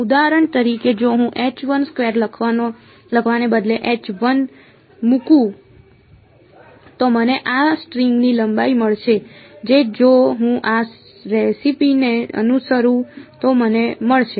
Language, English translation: Gujarati, For example, if I put H 1 instead of H 1 2 I write 1 I should get the length of this string which I will get if I follow this recipe